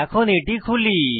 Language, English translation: Bengali, Let me open it